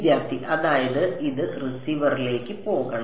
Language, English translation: Malayalam, That is this is should go into the receiver